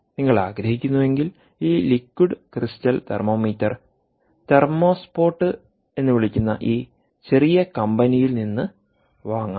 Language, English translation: Malayalam, if you wish, you can buy this liquid crystal thermometer from this little ah ah company which is called thermospot